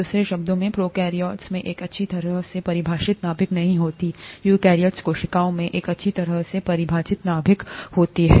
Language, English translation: Hindi, In other words, prokaryotes do not have a well defined nucleus, eukaryotic cells have a well defined nucleus